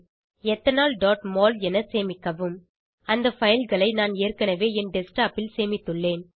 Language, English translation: Tamil, Save as Ethanol.mol I had already saved the files on my Desktop